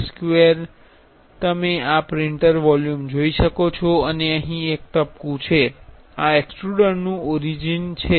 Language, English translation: Gujarati, This square you can see this the print volume and there is a dot here, this is the origin of the extruder